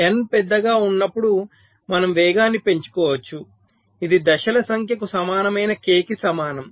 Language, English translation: Telugu, so when n is large we can get us speed up, which is approximately equal to k, equal to number of stages